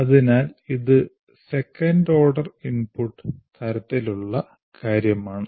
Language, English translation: Malayalam, So it is a second order input kind of thing